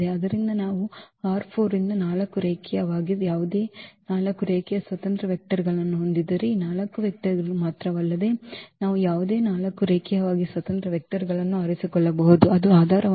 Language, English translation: Kannada, So, if we have 4 linearly any 4 linearly independent vectors from R 4 not only this 4 vectors we can pick any 4 linearly independent vectors that will form a basis